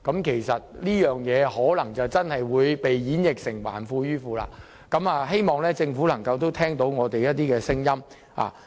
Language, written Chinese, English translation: Cantonese, 其實，這個安排很可能會被演繹為"還富於富"，希望政府能夠聽取我們的意見。, In fact this arrangement will very likely be interpreted as returning wealth to the rich . I hope that the Government can take our views on board